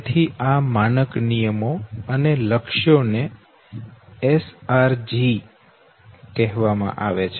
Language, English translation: Gujarati, So these are standards rules and goals are called SRGs okay